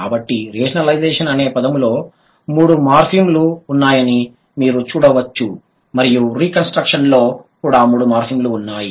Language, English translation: Telugu, So, in this word you can see rationalization has three morphems and reconstruction is going to have also has three morphins